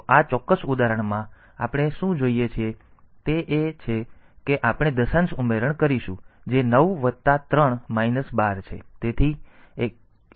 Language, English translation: Gujarati, So, what in this particular example what we wanted is that we will do a decimal addition that is 9 plus 3 12